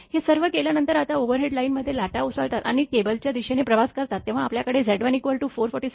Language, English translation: Marathi, After making all this, now waves originating in overhead line first, when the waves originating the overhead line and travels towards the cable we will have Z 1 is equal to 447 ohm and Z 2 is equal to 49